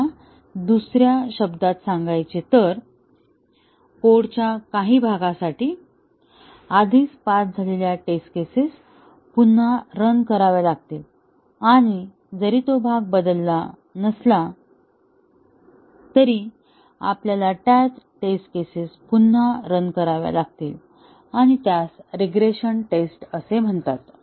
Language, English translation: Marathi, Or, in other words, we have to rerun the test cases which had already passed for some part of the code and even if that part has not changed, we have to rerun those test cases again and that is called as regression testing